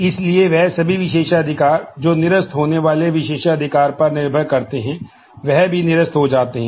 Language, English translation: Hindi, So, all privileges that depend on the privilege being revoked are also revoked